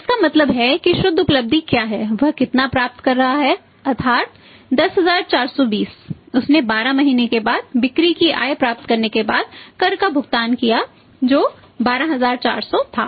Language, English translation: Hindi, So, it means net realization is how much net realisation is net realisation is how much is getting that is 10420 he paid the tax after the realisation of the sales proceeds after 12 months which was 12400